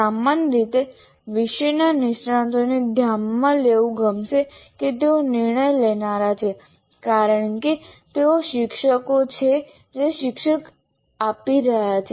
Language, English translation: Gujarati, The generally subject matter experts, they would like to be considered they are the decision makers because they are the teachers who are teaching